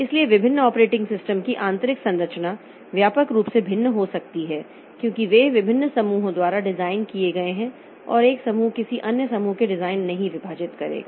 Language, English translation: Hindi, So, internal structure of different operating system can vary widely because they are are designed by different groups and one group will not divulge the design to another group